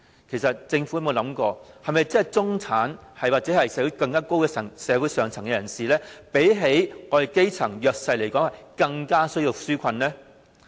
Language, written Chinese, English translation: Cantonese, 其實政府有否細想，中產或社會更上層人士是否比基層和弱勢人士更需要這些紓困措施呢？, Honestly has the Government ever asked itself whether the middle and upper classes in society should be perceived as having greater need for such relief measures than the grass roots and the underprivileged?